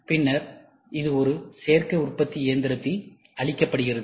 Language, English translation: Tamil, And then this is fed into an additive manufacturing machine